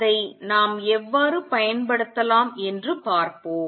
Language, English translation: Tamil, Let us see how we can use that